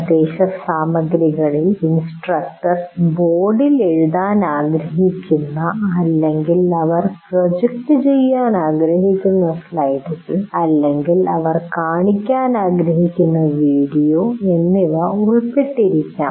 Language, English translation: Malayalam, Instruction material may consist of the material that instructor wants to write on the board or the slides they want to project or video they want to show, whatever it is